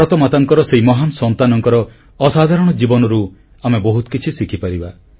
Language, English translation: Odia, We can learn a lot from the unparalleled saga of this great son of Mother India